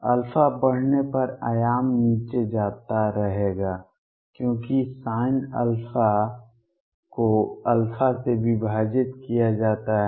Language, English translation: Hindi, Amplitude will keep going down as alpha increases, because sin alpha is divided by alpha